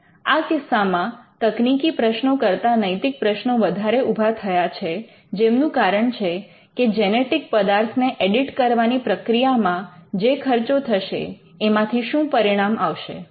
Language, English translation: Gujarati, Now, this has raised quite a lot of ethical issues more than technology based issues saying that what could be the outcome the cost involved in editing genetic material